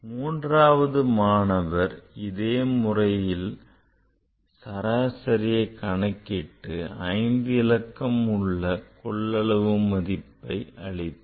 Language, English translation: Tamil, And third student same way he calculated the average this 5 digit in result and this volume also calculated